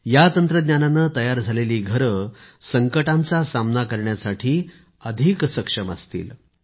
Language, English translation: Marathi, Houses made with this technology will be lot more capable of withstanding disasters